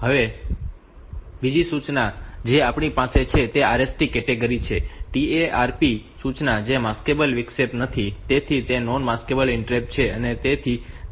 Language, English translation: Gujarati, The other instruction that we have in this RST category is that trap instruction which is a not Maskable interrupt, so that is that is a non Maskable interrupt